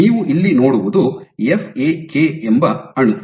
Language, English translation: Kannada, So, what you see here this molecule called FAK